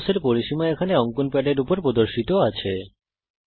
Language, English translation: Bengali, Area of rhombus is displayed here on the drawing pad